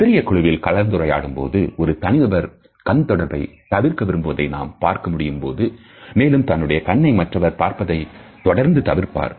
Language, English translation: Tamil, In a small group situations we may come across an individual who wants to avoid eye contact and would not allow other people to catch his eyes very frequently